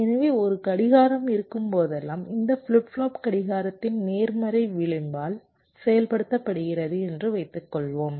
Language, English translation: Tamil, so whenever there is a clock, suppose, this flip flop is activated by the positive edge of the clock